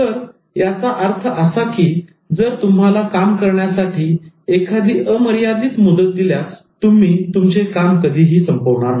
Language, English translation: Marathi, So this means that if you are given an unlimited deadline, if you are given an untime specific deadline, you will never finish the work